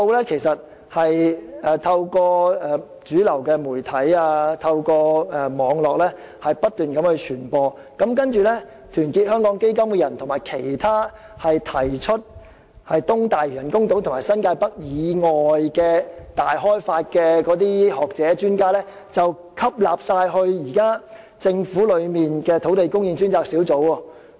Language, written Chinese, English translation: Cantonese, 這些數字不斷透過主流媒體和網絡傳播，然後團結香港基金的成員，以及其他提出在發展東大嶼都會和新界北以外進行大開發的學者和專家，均被吸納加入政府的土地供應專責小組。, While such figures have unceasingly been disseminated through the mainstream media and Internet media members of Our Hong Kong Foundation were appointed members of the Governments Task Force on Land Supply together with other scholars and experts who proposed to undertake large - scale developments in addition to the East Lantau Metropolis and New Territories North development projects